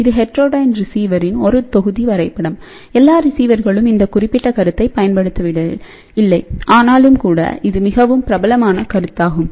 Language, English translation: Tamil, Now this is a one block diagram of a heterodyned receiver not all the receivers use this particular concept, but nevertheless this is one of the most popular concept